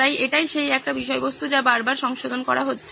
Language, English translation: Bengali, So that is the same content that is being modified again and again